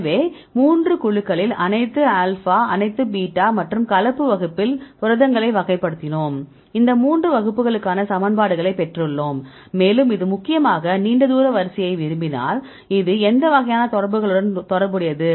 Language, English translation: Tamil, So, we classified the proteins at 3 groups all alpha, all beta and mixed class and we derived the equations for these 3 classes and see whether it is improvement in the correlation if you do like this mainly long range order deals with which type of interactions; Long range interactions